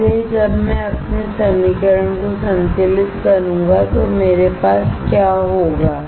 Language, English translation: Hindi, So, when I balance my equation what will I have